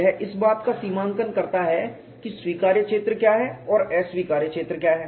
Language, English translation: Hindi, It demarcates what is the acceptable region and what is an unacceptable region